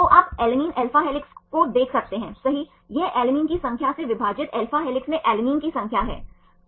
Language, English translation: Hindi, So, you can see the alanine alpha helix right, this is number of alanine in alpha helix divided by number of alanine you see total number how many of alanines here